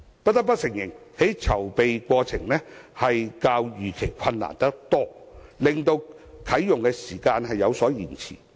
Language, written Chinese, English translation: Cantonese, 不得不承認，由於籌備過程較預期困難得多，啟用時間有所延遲。, Undeniably the preparation of the shopping mall is much more difficult than expected which delays the commissioning date